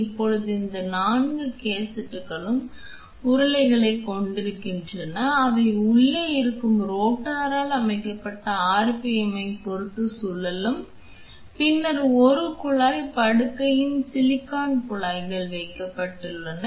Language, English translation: Tamil, Now that we have seen how these 4 cassettes are having rollers which rotate depending on the RPM set by the rotor which is inside and then there is a tube bed on which the silicon tubings are placed